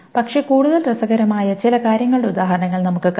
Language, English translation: Malayalam, But we'll see examples of some more interesting things